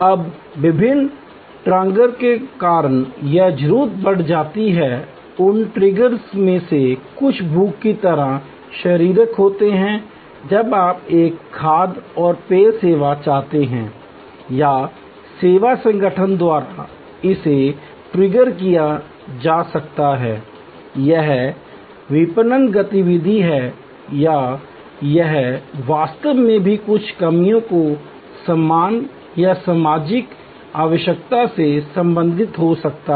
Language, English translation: Hindi, Now, this need can raised due to various triggers, some of those triggers are physical like hunger, when you seek a food and beverage service or it could be triggered by the service organization through it is marketing activity or it could be actually also related to certain personnel esteem or social need